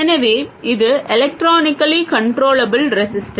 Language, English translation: Tamil, So, this is an electronically controllable resistor